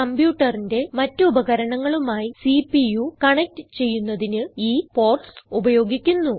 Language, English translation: Malayalam, The ports at the back, are used for connecting the CPU to the other devices of the computer